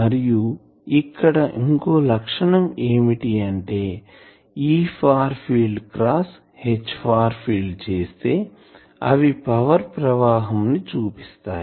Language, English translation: Telugu, And another criteria is that in this case this E far field cross H far field they represent the power flow etc